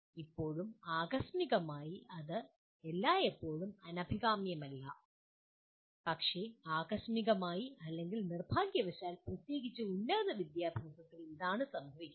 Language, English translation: Malayalam, And still incidentally, it is not always undesirable, but incidentally or unfortunately the especially at higher education this is what happens